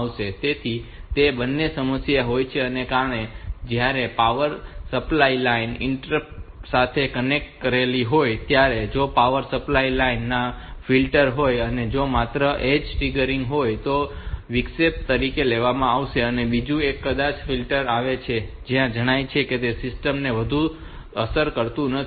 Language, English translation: Gujarati, So, both of them have got problems because when the power supply line you are connecting to the interrupt pin, so if there is a flicker in the power supply lines it will be a taken as an interrupt if it is only edge triggered, on the other maybe that the flicker comes and goes it is not affecting the system too much so you do not need to shutdown the other shutdown other I O devices